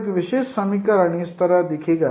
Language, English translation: Hindi, So a typical equation will look like this